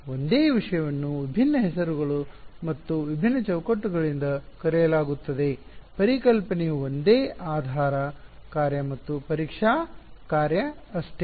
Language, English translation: Kannada, The same thing is being called by different names and different frames; the concept is the same basis function, testing function that is all